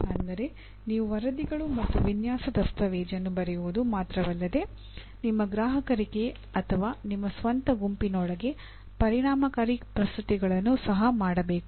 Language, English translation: Kannada, That is you should not only write reports and design documentation and make effective presentations to again your customers or within your own group